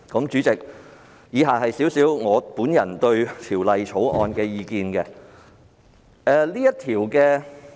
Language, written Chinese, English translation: Cantonese, 主席，以下是我對《條例草案》的意見。, President my personal views on the Bill are as follows